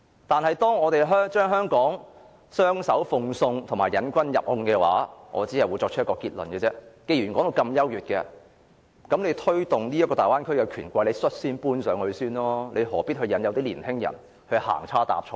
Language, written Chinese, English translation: Cantonese, 但是，如果我們將香港雙手奉送和墮入請君入甕的陷阱，我只會作出一個結論，就是既然說得大灣區如此優越，那麼推動大灣區的權貴應率先搬上去，何必引誘年輕人再次行差踏錯呢？, However if we freely hand over Hong Kong or fall into this trap I can only arrive at one conclusion and that is if the Bay Area is really so superb those rich and powerful who advocate the Bay Area should take the lead and move into the Bay Area first . Why do they have to lure young people to make a wrong step again?